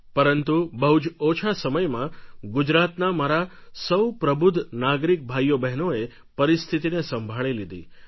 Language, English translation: Gujarati, But in a very short span of time, the intelligent brothers and sisters of mine in Gujarat brought the entire situation under control